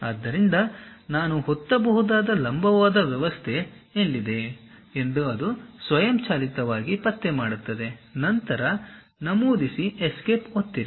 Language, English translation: Kannada, So, it automatically detects where is that perpendicular kind of system I can press that, then Enter, press Escape